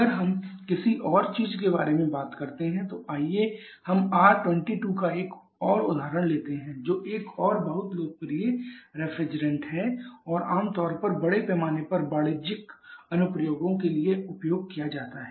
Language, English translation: Hindi, If we talk about something else let us take another example of R22 another very popular if free and generally used for large scale commercial applications